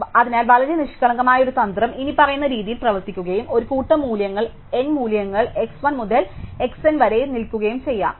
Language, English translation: Malayalam, So, a very naive strategy would work as follows and given a set of values n values x 1 to x n